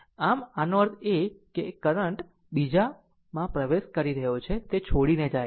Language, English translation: Gujarati, So; that means, one current is entering other are leaving